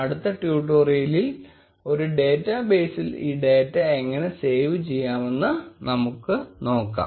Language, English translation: Malayalam, In the next tutorial, we will see how we can save this data in a database